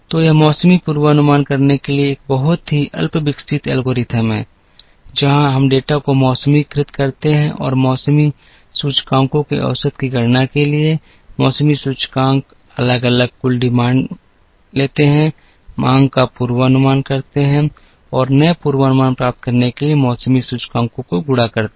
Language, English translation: Hindi, So, this is a very rudimentary algorithm to do seasonal forecasting, where we de seasonalize the data, for compute the seasonality indices average, the seasonality indices separately take the total demands, forecast the demand and multiply by the seasonality indices to get the new forecast for all the 4 seasons